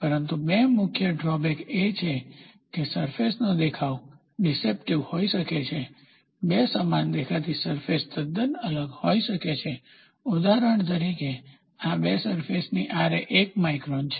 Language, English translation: Gujarati, But the two major drawbacks are the view of the surface may be deceptive; two surfaces that appear identical might be quite difference, for example, these two surfaces can have a Ra value as 1 micron